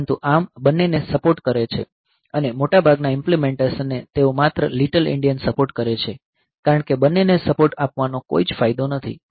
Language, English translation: Gujarati, So, but ARM supports both and most of the implementation they support only little endian because supporting both is of no use ok